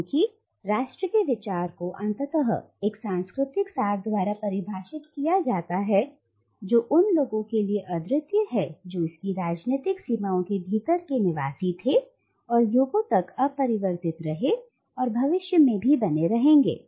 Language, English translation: Hindi, Because the idea of nation is ultimately defined by a cultural essence which is unique to the people who were resident within its political boundaries and which has remained unchanged for ages and will continue to remain so in the future